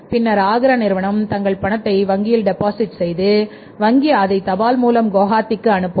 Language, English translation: Tamil, Then Agra firm will deposit their check into the bank and bank will send it by post to Gohati